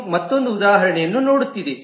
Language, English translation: Kannada, This is just looking at another example